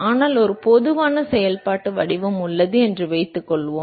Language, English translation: Tamil, But then let us assume that there is a general function form